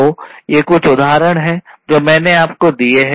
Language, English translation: Hindi, So, these are some examples that I have given you